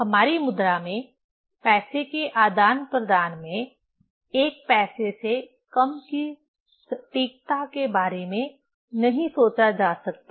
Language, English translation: Hindi, In our currency, cannot think of accuracy less than 1 paisa in exchange of money, right